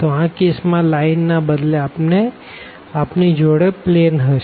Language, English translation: Gujarati, So, in this case we will have instead of a line we will have a planes